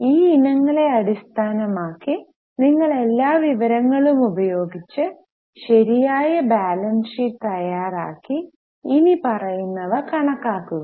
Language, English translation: Malayalam, Based on these items you have to use all the information, prepare a proper balance sheet and calculate the following